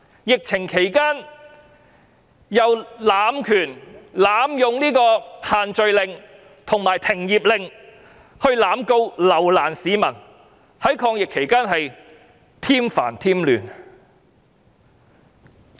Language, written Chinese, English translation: Cantonese, 疫情期間濫權，濫用"限聚令"和"停業令"來濫告及留難市民，在抗疫期間添煩添亂。, During the epidemic the Police have abused their powers by exploiting the group gathering ban and business operation ban to institute arbitrary prosecution and harass the people